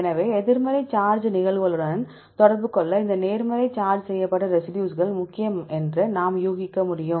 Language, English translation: Tamil, So, we can guess these positives charged residues are important to interact with negative charge moieties